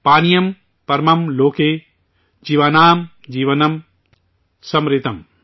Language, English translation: Urdu, Paniyam paramam loke, jeevaanaam jeevanam samritam ||